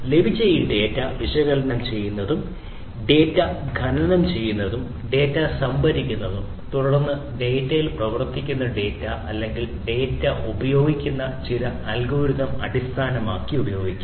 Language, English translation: Malayalam, So, this data that is obtained can be used for analyzing it, analyzing the data, mining the data, storing the data and then based on certain algorithms that are run on it on the data or using the data